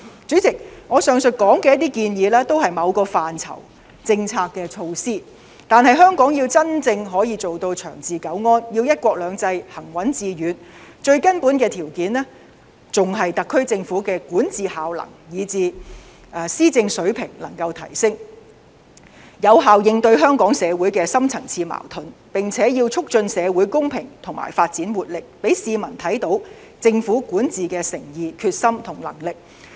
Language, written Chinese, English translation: Cantonese, 主席，上述建議也是某些範疇的政策措施，但香港要真正可以做到長治久安，要"一國兩制"行穩致遠，最根本的條件還是特區政府能夠提升管治效能，以至施政水平，有效應對香港社會的深層次矛盾，並且要促進社會公平和發展活力，讓市民看到政府管治的誠意、決心和能力。, President the above proposals are just policy initiatives in certain areas . But if Hong Kong wants long period of political stability and to ensure the smooth and long - term successful practice of the one country two systems policy the most fundamental condition is for the SAR Government to improve its governing efficacy and level of policy implementation so as to effectively address the deep - seated conflicts in society . Besides it should also promote social equality and development strength so as to let the public see the sincerity determination and capability of the Government in its governance